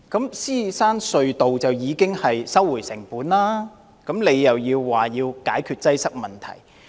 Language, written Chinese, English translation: Cantonese, 在獅子山隧道方面，當局已收回成本，他卻表示要解決擠塞問題。, In the case of the Lion Rock Tunnel whose cost has already been recovered by the authorities he highlighted the need to address its congestion problem